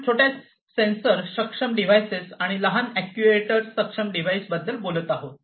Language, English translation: Marathi, We are talking about small sensor enable devices small actuator enabled devices